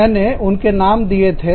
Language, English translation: Hindi, I gave you the names